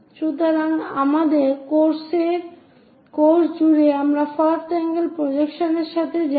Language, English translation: Bengali, So, throughout our course we go with first angle projection